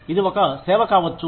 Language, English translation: Telugu, It could be a service